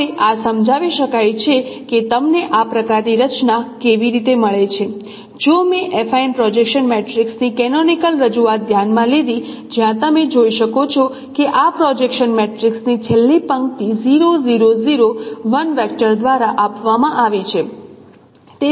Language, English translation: Gujarati, Now this can be explained how do you get this now kind of structure if I consider the canonical representation of the affine projection matrix where you can see that the last row of this projection matrix is given by 0 0 0 1 vector